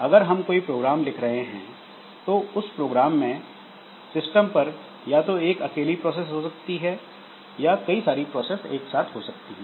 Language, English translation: Hindi, Now, that single program, it can have a single process in the system or it can have multiple processes in the system